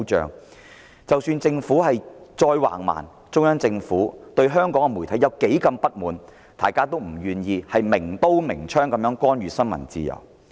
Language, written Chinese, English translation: Cantonese, 即使特區政府再橫蠻，中央政府對香港媒體如何不滿，大家也不願意明刀明槍地干預新聞自由。, No matter how barbaric the SAR Government is and how dissatisfied the Central Government is with the media of Hong Kong no one would blatantly interfere with freedom of the press